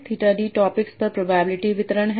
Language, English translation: Hindi, Theta D is a probability distribution over the topics